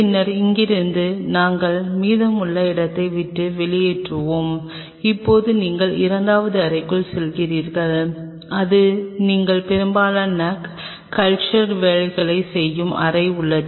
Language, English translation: Tamil, Then from here we will leave the rest of the space, now you are moving into the second room which is the room where you will be performing most of the culture work